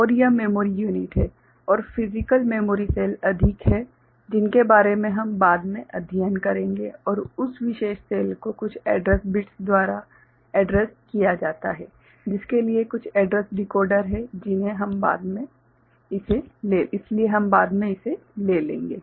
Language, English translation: Hindi, And this is the memory unit and there are physical memory cells more about that we shall study later right and that particular cell is addressed by some address bits for which certain address decoder is there so, this we shall take up later